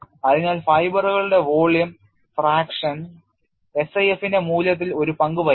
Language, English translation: Malayalam, So, the volume fracture of the fibers does play a role on the value of SIF